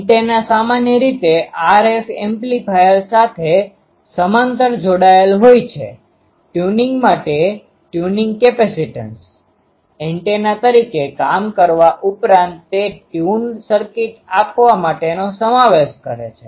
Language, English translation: Gujarati, The antenna is usually connected in parallel with RF amplifier tuning capacitance a for tuning; in addition to acting as antenna it furnishes the inductance to give tune circuit